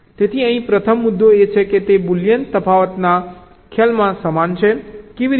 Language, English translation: Gujarati, the first point is that it is similar in concept to boolean difference